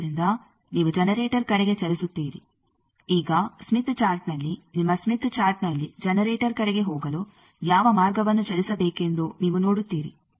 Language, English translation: Kannada, So, you move towards generator, now in the Smith Chart in your Smith Chart you will see which way to move for going towards generator